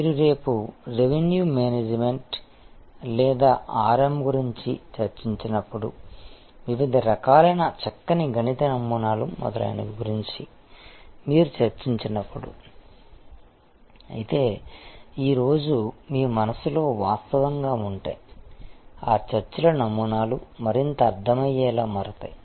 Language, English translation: Telugu, Then, if you thing about this tomorrow when we discussed Revenue Management or RM, which uses various kinds of nice mathematical models, etc, but those models of discussions will become for more comprehensible, if you can actually thing in your mind today